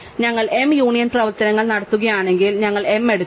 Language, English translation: Malayalam, So, if we do m union operations, we take m